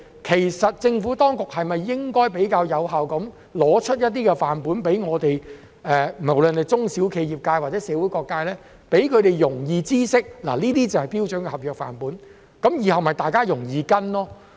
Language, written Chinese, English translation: Cantonese, 其實政府當局是否應該更有效地提供一些範本給我們使用，無論是中小企、業界或社會各界，讓他們容易知悉這些就是標準的合約範本，以便大家日後容易跟隨。, In fact is it not more effective for the Government to provide samples for us be it SMEs or different sectors in the community so that we can understand easily that those are standard sample contracts we can follow in the future?